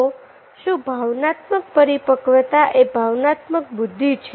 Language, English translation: Gujarati, so each emotional maturity is emotional intelligence